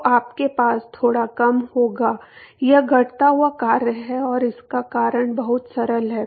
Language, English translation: Hindi, So, you will have a slightly decreasing, it is a decreasing function and the reason is very simple